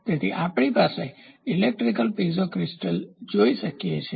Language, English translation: Gujarati, So, here we can see an electrical Piezo crystal is given